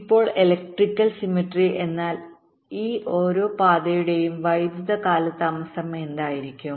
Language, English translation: Malayalam, now, electrical symmetry means what would be the electrical delay of each of this paths